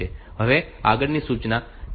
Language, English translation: Gujarati, Now, next instruction is DCX B